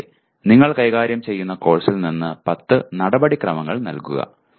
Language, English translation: Malayalam, Similarly, give 10 procedures from the course that you are dealing with